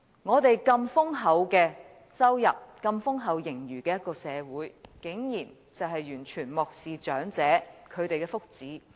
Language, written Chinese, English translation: Cantonese, 我們有如此豐厚的收入，擁有如此豐厚盈餘的社會竟然完全漠視長者的福祉。, Given our enormous income and abundant surpluses society has turned a blind eye to the well - being of the elderly